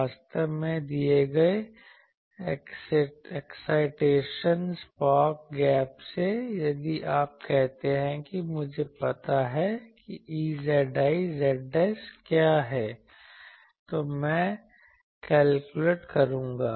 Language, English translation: Hindi, Actually from the given excitation spark gap, if you say I know what is E z i, I will calculate